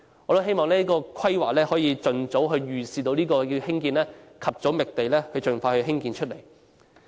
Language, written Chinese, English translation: Cantonese, 我希望有關規劃能預視這項目，及早覓地，盡快興建。, I hope the relevant planning can envisage this project and identify a site in a timely manner for its expeditious construction